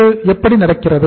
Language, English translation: Tamil, How it happens